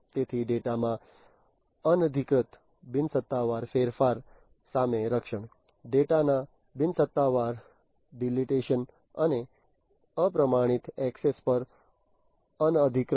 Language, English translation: Gujarati, So, protection against unauthorized, unofficial change in the data; unauthorized on unofficial deletion of the data and uncertified access